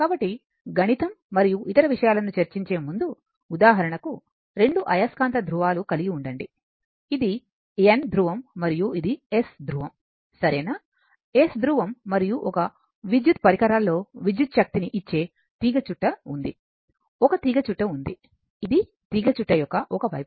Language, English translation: Telugu, So, before giving mathematics and other thing, just for example suppose, you have two magnetic pole, this is your N pole and this is your S pole, right, s pole and one coil is there one coil there this is the one side of the coil